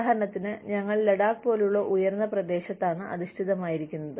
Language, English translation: Malayalam, For example, we are based in, say, a high reach area like, Ladakh